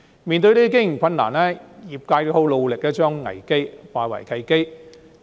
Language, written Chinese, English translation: Cantonese, 面對這些經營困難，業界十分努力將危機化為契機。, In the face of these operational difficulties the industry has worked very hard to turn the crisis into an opportunity